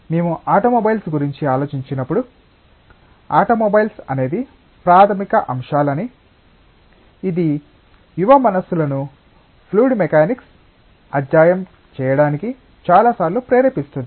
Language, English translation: Telugu, When we think of automobiles, I mean automobiles are the basic elements which many times motivate young minds to study fluid mechanics